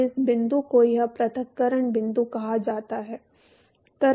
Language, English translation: Hindi, So, this point is called this separation point